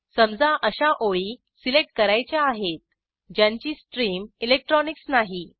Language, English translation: Marathi, Say we want to select those lines which do not have stream as electronics